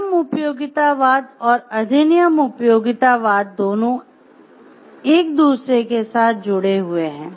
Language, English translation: Hindi, So, both rule utilitarianism and act utilitarianism is linked with each other